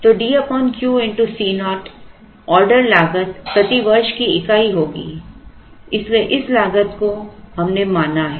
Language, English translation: Hindi, So, D by Q into C naught will have a unit of rupees per year spent in order cost, so this cost we have considered